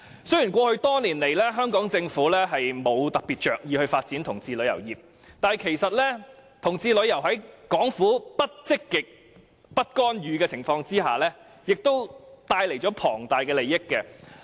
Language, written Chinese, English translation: Cantonese, 雖然過去多年來，香港政府沒有着意發展同志旅遊業，但其實同志旅遊業在港府不積極發展、亦不干預的情況下，也為香港帶來龐大收益。, Over the years the Hong Kong Government has never paid attention to developing LGBT tourism and even in the absence of the Governments active promotion and interference LGBT tourism has brought huge economic benefits to Hong Kong